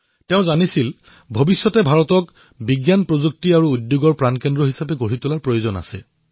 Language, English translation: Assamese, He knew very well that making India a hub of science, technology and industry was imperative for her future